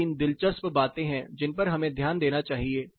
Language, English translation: Hindi, There are 2, 3 interesting things which we need to note